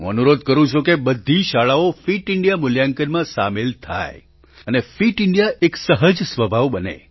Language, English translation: Gujarati, I appeal that all schools should enroll in the Fit India ranking system and Fit India should become innate to our temperament